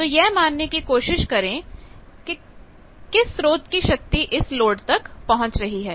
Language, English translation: Hindi, So, try to consider that the power from the source is getting delivered to load